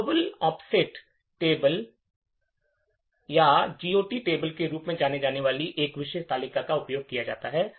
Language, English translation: Hindi, A special table known as Global Offset Table or GOT table is used